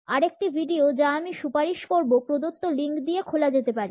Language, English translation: Bengali, Another video, which I would recommend can be accessed on the given link